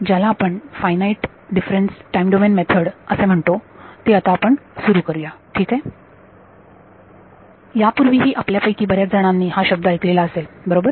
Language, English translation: Marathi, What we will start now is what is called the Finite Difference Time Domain Method alright; many of you may have heard this word in the past right